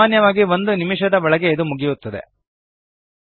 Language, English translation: Kannada, Usually it takes less than a minute to complete